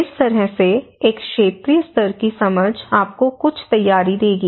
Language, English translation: Hindi, So, in that way a regional level understanding will give you some preparation